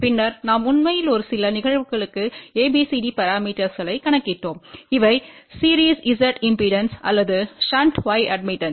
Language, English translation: Tamil, And then we actually calculated abcd parameters for a few cases and these were series z impedance or shunt y admittance